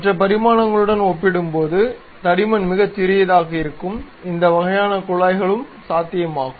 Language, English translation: Tamil, So, this kind of ducts where the thickness is very small compared to other dimensions can also be possible